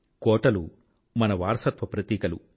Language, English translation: Telugu, Forts are symbols of our heritage